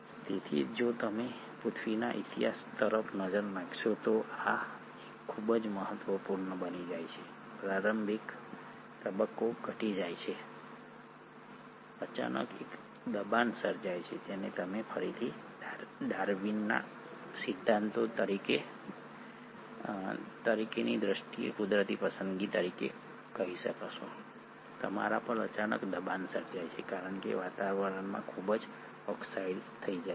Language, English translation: Gujarati, So if you were to look at the history of earth, this becomes very important; the initial phase is reducing, suddenly there is a pressure created which is again what I will call as natural selection in terms of Darwin’s theory, you suddenly have a pressure created because the atmosphere becomes highly oxidised